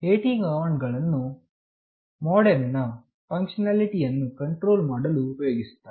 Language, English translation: Kannada, AT commands are used to control the MODEM’s functionality